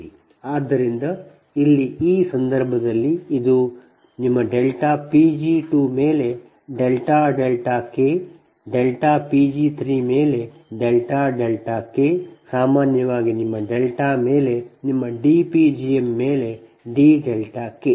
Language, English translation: Kannada, your delta pg two upon delta delta k delta pg three upon delta delta k in general, right upon your [d/delta] delta, your dp gm upon d delta k